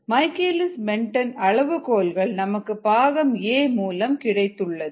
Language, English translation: Tamil, we know the michaelis menten parameters from part a